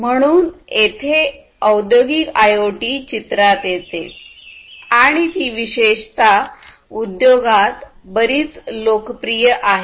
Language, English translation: Marathi, So that is where industrial IoT comes into picture and is so much popular, particularly in the industry